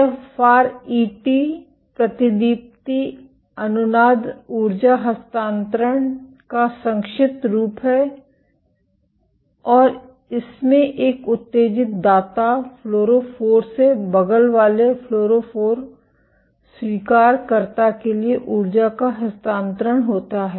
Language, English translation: Hindi, FRET is short form for Fluorescence Resonance Energy Transfer and this involves the transfer of energy from an excited donor fluorophore to an adjacent acceptor fluorophore